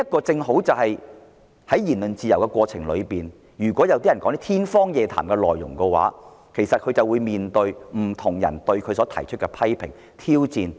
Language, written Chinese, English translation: Cantonese, 在享有言論自由的社會中，如有人說些天方夜譚的內容時，會面對來自不同人的批評和挑戰。, In a society where people enjoy freedom of speech when a person talks about something highly unrealistic he will be subject to criticisms and challenges from different people